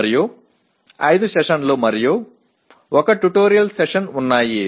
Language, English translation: Telugu, And there are 5 sessions and 1 tutorial session